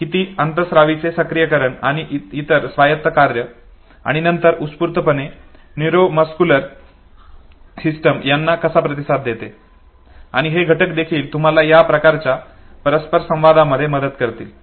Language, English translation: Marathi, How much is the functioning and activation of the endocrine and other autonomic functions, and then how is spontaneously the neuromuscular system they respond, and these factors also know would help you have this type of a interaction okay